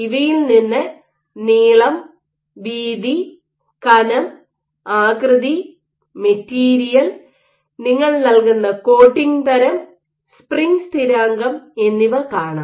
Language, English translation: Malayalam, From these what you will see is the length the width, the thickness, the shape, the material, the type of coating you provide and the spring constant